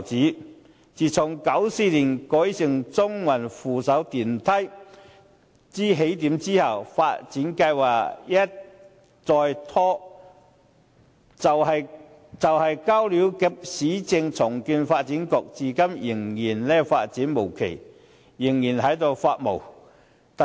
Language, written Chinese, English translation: Cantonese, 舊街市自從於1994年成為中環扶手電梯的起點後，發展計劃一再拖延，雖然已交由市區重建局負責，但至今仍然發展無期，舊街市仍然處於"發霉"狀態。, The development plan of the old market which was made the starting point of the Escalator and Walkway System in Central in 1994 has been delayed again and again . Although it has already been handed to the Urban Renewal Authority for development the plan for its development is still nowhere in sight and the old market is rotting